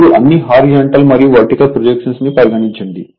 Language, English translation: Telugu, Now, you make all horizontal and vertical projection